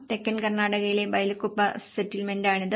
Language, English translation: Malayalam, This is a Bylakuppe settlement in Southern Karnataka